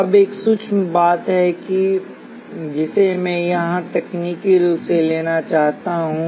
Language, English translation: Hindi, Now, there is one subtle point that I want to bring up here technically